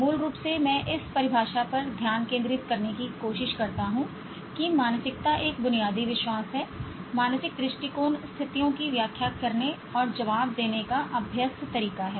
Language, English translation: Hindi, Basically I tried to focus on the definition that mindset is one's basic belief, mental attitude, habitual way of interpreting and responding to situations